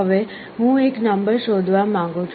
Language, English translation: Gujarati, Now, I want to search for a number